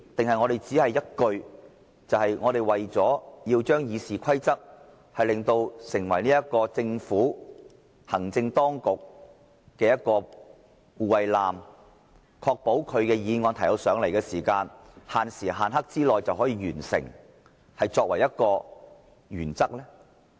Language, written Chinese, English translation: Cantonese, 抑或這項修訂的目的，只是要將《議事規則》變為為政府、行政當局的一艘護衞艦，確保政府提交予立法會的議案可以限時限刻地完成審議呢？, Or does this amendment simply intend to turn RoP into a convoy of the Government or the executive authorities so as to ensure the timely completion of scrutiny of all motions moved by the Government to the Legislative Council?